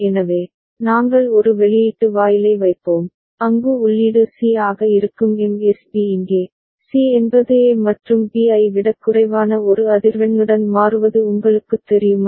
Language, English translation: Tamil, So, we shall put a output gate, where the in input of which will be C is the MSB here, C is you know changing with a frequency which is less than that of A and that of B right